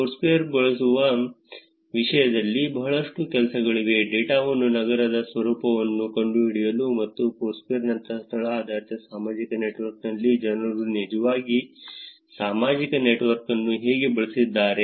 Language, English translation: Kannada, There is a lot of work actually in terms of using Foursquare data to find out the nature of the city and how people have actually used the social network in a location based social network like Foursquare